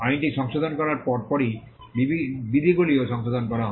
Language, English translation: Bengali, Soon after amending the act, the rules were also amended